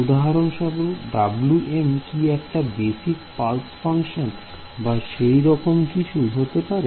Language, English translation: Bengali, Can W m be anything for example, can Wm be a pulse basis function or something like that right